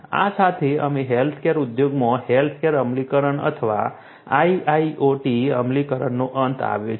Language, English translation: Gujarati, With this, we come to an end of the healthcare implementation or IIoT implementation in the healthcare industry